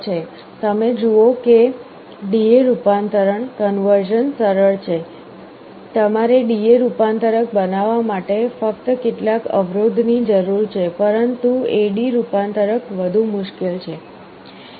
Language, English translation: Gujarati, You see D/A conversion is easy, you only need some resistances to make a D/A converter, but A/D conversion is more difficult